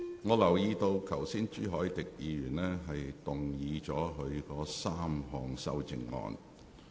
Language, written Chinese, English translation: Cantonese, 我留意到朱凱廸議員剛才動議了他的3項修正案。, I have noticed that Mr CHU Hoi - dick moved his three amendments earlier on